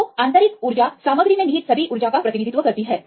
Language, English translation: Hindi, So, internal energy represents all the energy contained in the material